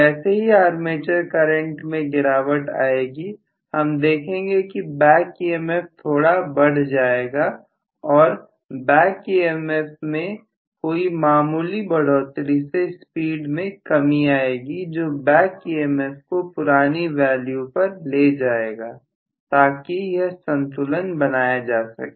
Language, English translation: Hindi, The moment armature current drops I am going to see that the back EMF might increase slightly and the back EMF increases slightly then you are going to see that the speed will drop to bring down the back emf to the original value itself so that the entire balance is maintained